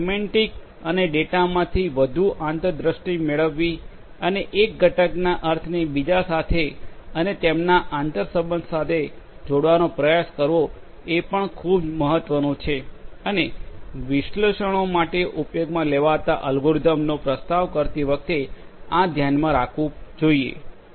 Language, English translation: Gujarati, Semantics and getting more insights meaning out of the data and trying to relate these meanings of one component with another and their interrelationships is also very important and should be taken into consideration while proposing an algorithm to be used for the analytics